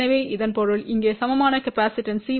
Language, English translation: Tamil, So that means, the equivalent capacitance here will be C 1 1 plus 2 C 1 2